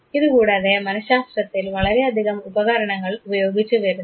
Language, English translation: Malayalam, And besides this you find whole lot of apparatus being used in psychology